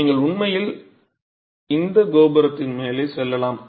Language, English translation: Tamil, You can actually go up this tower